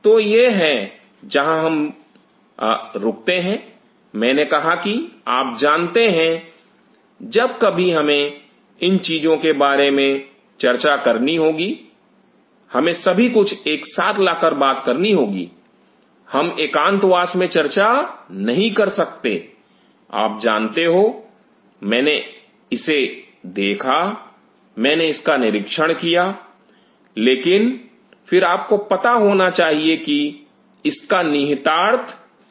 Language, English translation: Hindi, So, that is where we (Refer time: 20:41) rest on we I told you that you know, whenever we will have to talk about these things we have to talk by pulling everything together we cannot talk in isolation that you know I see this I observe this in, but then you have to have what is the implication of it